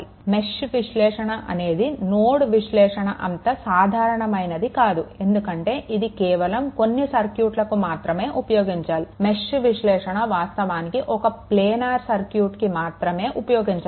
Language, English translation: Telugu, So, mesh analysis is not as a general as nodal analysis because it is only applicable to circuits, that is actually planar right that is actually applicable to a circuit that is actually planar circuit right